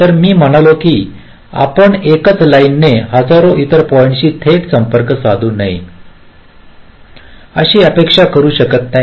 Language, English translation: Marathi, so i mean you cannot expect a single line to be connected directly to thousand other points